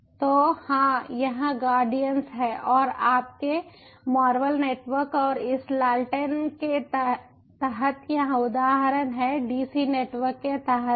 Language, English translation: Hindi, so, ya, this is guardians and this ah instances under your marvel ah network and this lanterns is under the dc network